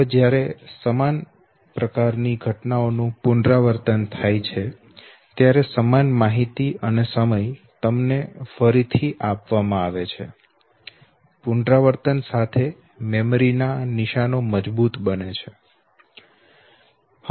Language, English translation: Gujarati, Now when similar type of events are repeated, similar information is given to you time and again okay, with repetition the memory traces they become very strong